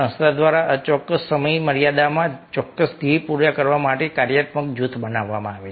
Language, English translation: Gujarati, a functional group is created by the organization to accomplish specific goals within an unspecified time frame